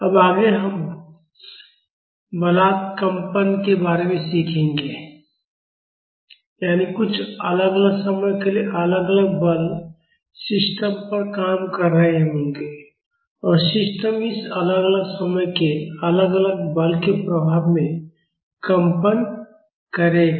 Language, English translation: Hindi, Now, onwards we will be learning about Forced Vibrations, that is some time varying force will be acting on the system and the system will be vibrating under the influence of this time varying force